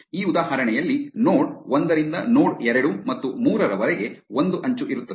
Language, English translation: Kannada, In this example, there is an edge from node 1 to node 2 and 3